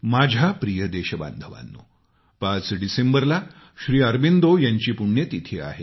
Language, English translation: Marathi, the 5thDecember is the death anniversary of Sri Aurobindo